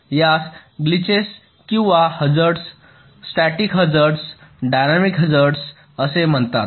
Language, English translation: Marathi, these are called glitches or hazards: static hazard, dynamic hazard